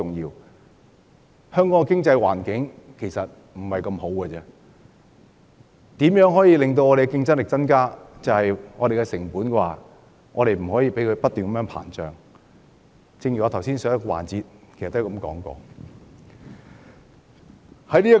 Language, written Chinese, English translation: Cantonese, 現時香港的經濟環境並不太好，所以要提高競爭力，便不可以讓成本不斷上升，這點我在上一環節已經提過。, Given that the present economic environment of Hong Kong is less than satisfactory an increasing cost should be avoided in order to enhance our competitiveness . I have already mentioned this point in the previous session